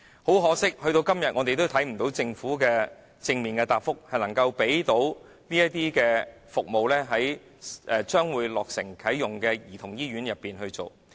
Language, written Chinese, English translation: Cantonese, 很可惜，時至今天，我們仍未獲得政府正面的答覆，表示會在即將落成的兒童醫院裏提供這些服務。, Unfortunately so far we have not received any positive reply from the Government telling us that such service will be provided in the childrens hospital soon to be completed